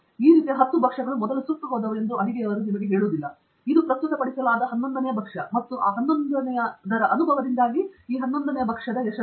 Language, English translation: Kannada, That cook will not tell you that there were ten dishes of this types which were burnt earlier; this is the eleventh one that is being presented; and this eleventh one is success because of the experience with those ten ones